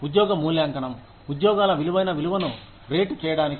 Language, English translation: Telugu, Job evaluation, to rate the relative worth of jobs